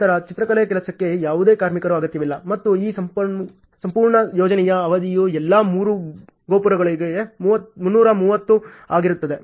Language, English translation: Kannada, Then no workers are required for painting job and the duration for this entire project has consumed to be 330 for all the three towers until painting ok